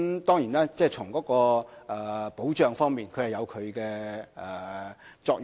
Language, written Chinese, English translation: Cantonese, 當然，從保障方面而言，有其作用。, The Convention is certainly helpful in respect of protection